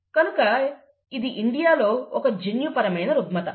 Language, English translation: Telugu, And therefore, it is a genetic disorder